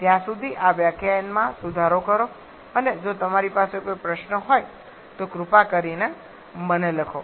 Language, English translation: Gujarati, Till then revise this lecture and if you have any query please write to me, thank you